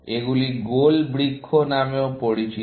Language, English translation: Bengali, These are also known as goal trees